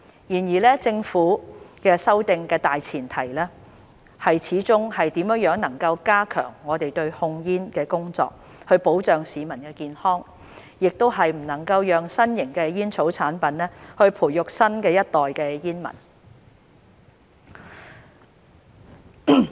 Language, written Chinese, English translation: Cantonese, 然而政府修訂的大前提是怎樣加強我們對控煙的工作，以保障市民健康，亦不能讓新型的煙草產品培育新一代煙民。, However the main premise of the Governments amendments is ways to strengthen our tobacco control efforts to protect public health and not to allow new tobacco products to nurture a new generation of smokers